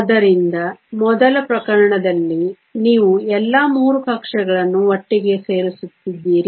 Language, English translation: Kannada, So, in the first case you are adding all 3 orbitals together